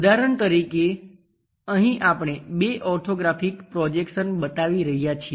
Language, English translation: Gujarati, For example, here two orthographic projections we are showing